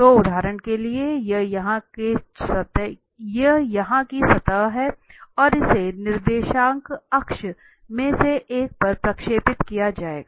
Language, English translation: Hindi, So, for instance this is the surface here and this will be projected on one of the coordinate axis